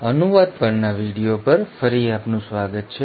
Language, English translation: Gujarati, So, welcome back to the video on translation